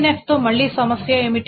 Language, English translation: Telugu, This is not in 3NF